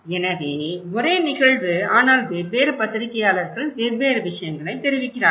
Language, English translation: Tamil, So, same event but different journalists are reporting different things, it’s so interesting